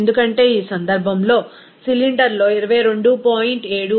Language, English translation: Telugu, Because in this case, it is given that cylinder contains 22